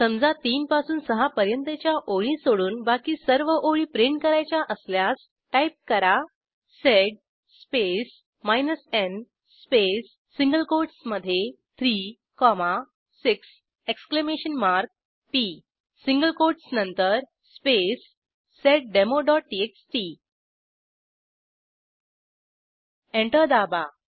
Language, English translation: Marathi, Say if we had to print all lines except from 3rd to 6th we will type: sed space n space within single quotes 3 ,6 .p After the single quotes space seddemo.txt Press Enter